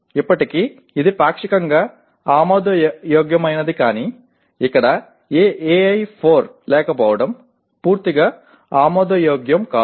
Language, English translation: Telugu, While still that is partly acceptable but not having any AI4 here is totally unacceptable